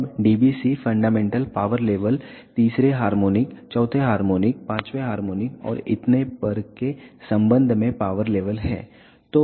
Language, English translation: Hindi, Now, dBc is the power level with respect to the fundamental power level third harmonic, fourth harmonic, fifth harmonic and so on